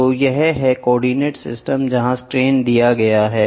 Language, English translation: Hindi, So, this is the coordinate system where the strains are given